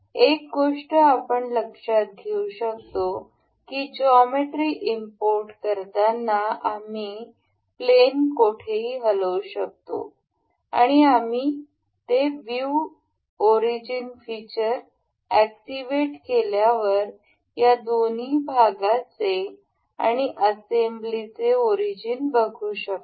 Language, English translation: Marathi, One thing we can note is that while importing the geometry we can move anywhere in the plane and while we have activated this feature of a view origins we can see the origins of both the parts and the assembly